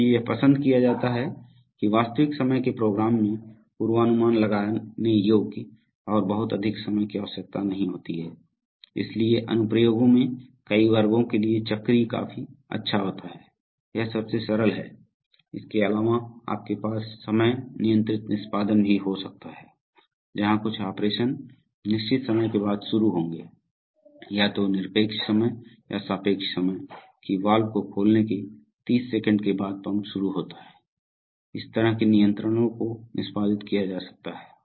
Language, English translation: Hindi, So it is preferred that real time programs have predictable and not too much varying time requirements, so for many classes of applications cyclic is good enough, so that is the simplest, apart from that you could have time controlled executions where certain operations will start after certain times either absolute times or relative times, that is start the pump after 30 seconds of opening the valve, this kind of controls can be executed